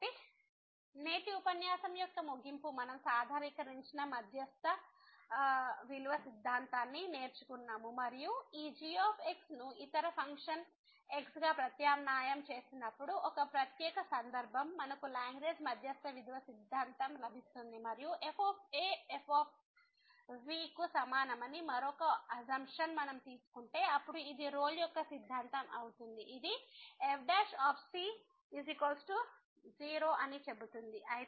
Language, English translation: Telugu, So, the conclusion for today’s lecture that we have learnt the generalize mean value theorem and as a special case when we substitute this the other function the second function as , we will get the Lagrange mean value theorem and if we take another assumption that is equal to then this will be the Rolle’s theorem which says that prime is equal to , ok